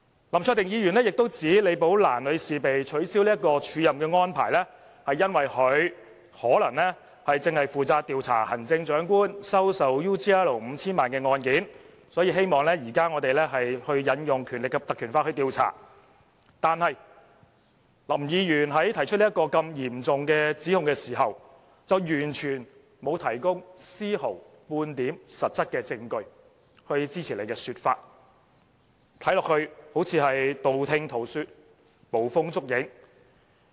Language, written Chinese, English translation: Cantonese, 林卓廷議員亦指李寶蘭女士被取消署任的安排，可能是因為她正負責調查行政長官收受澳洲企業 UGL Limited 5,000 萬元的案件，所以，他希望立法會現時引用《條例》來進行調查，但林議員在提出這個嚴重指控時，卻完全沒有提供絲毫半點實質證據來支持他的說法，看起來就像是道聽塗說、捕風捉影般。, Mr LAM Cheuk - ting also claims that the cancellation of Ms LIs acting appointment might be due to her being the person in charge of the investigation into the Chief Executives receipt of 50 million from an Australian company UGL Limited . He therefore would like the Legislative Council to invoke the Ordinance for investigation . But while making such a serious accusation Mr LAM has never provided any concrete evidence to support his allegation